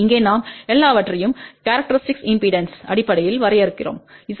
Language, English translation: Tamil, And here we are defining everything in terms of characteristic impedance Z 0